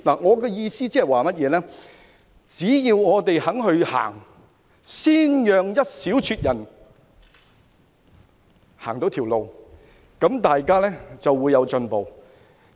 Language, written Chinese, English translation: Cantonese, 我的意思是，只要我們向前邁進，先讓部分人走這條路，大家便會有進步。, What I mean is as long as we move forward and let some people take this road first we will be able to make progress